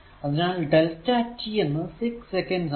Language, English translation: Malayalam, So, delta t is equal to 6 second